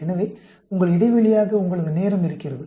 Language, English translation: Tamil, So, you have the time as your interval